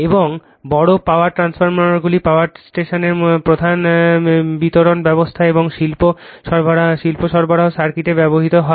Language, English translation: Bengali, And large power transformers are used in the power station main distribution system and in industrial supply circuit, right